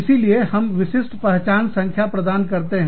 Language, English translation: Hindi, So, we assign, unique identification numbers